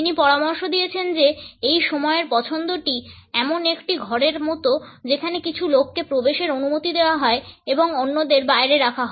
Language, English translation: Bengali, He has suggested that this time preference is like a room in which some people are allowed to enter while others are kept out of it